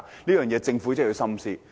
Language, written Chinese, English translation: Cantonese, 這一點政府必須深思。, This is a point which the Government must carefully consider